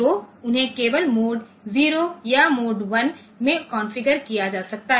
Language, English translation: Hindi, So, they can be , they can be configured in mode 0 or mode 1 only